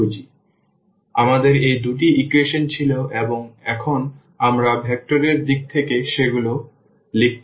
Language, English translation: Bengali, So, we had these two equations and now we can write down in terms of the in terms of the vectors